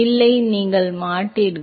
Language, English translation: Tamil, No, you will not